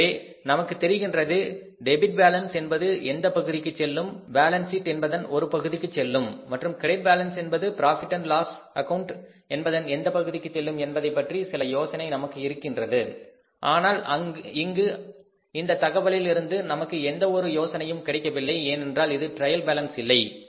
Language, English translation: Tamil, So, we know we have some idea that debit balances will go to which side of the profit and loss account and balance sheet and credit balances will go to which side of the profit and loss account and balance but here from this information we have no idea because it is not the trial balance